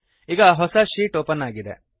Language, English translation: Kannada, This opens the new sheet